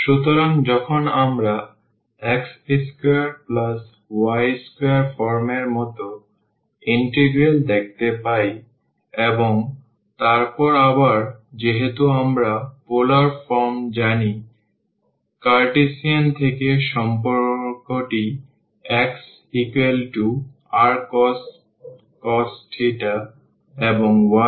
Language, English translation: Bengali, So, when we do see in the integral like x square plus y square form and then again since we know in the polar form the relation from the Cartesian is x is equal to r cos theta, and y is equal to r sin theta